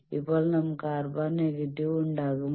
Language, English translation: Malayalam, And you see that what happens if R is negative